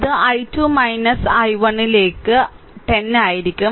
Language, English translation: Malayalam, So, it will be i 2 minus i 1 into 10, right